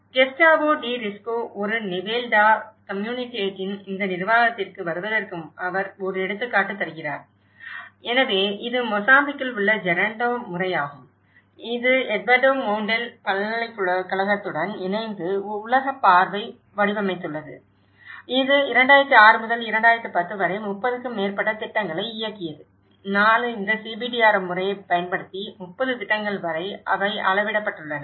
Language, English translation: Tamil, He gives an example of coming to this management of Gestao de Risco a Nivel da Comunidade, so which is Gerando method in Mozambique which has been designed by World Vision in collaboration with Eduardo Mondale University which has piloted over 30 projects from 2006 to 2010 about 4 years they have scaled up to 30 projects using this CBDRM method